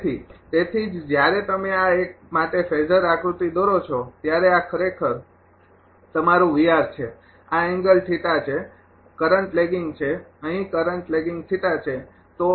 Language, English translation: Gujarati, So, that is why; when you draw the phasor diagram for this one this is actually your ah V R; this angle is theta the current is lagging here current is lagging theta